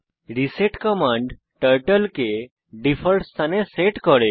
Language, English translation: Bengali, reset command sets Turtle to default position